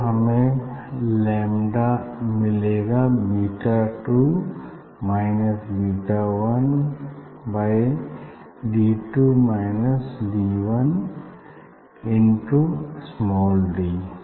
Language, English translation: Hindi, then you will get lambda equal to beta 2 minus beta 1 divided by D 2 minus D 1 into d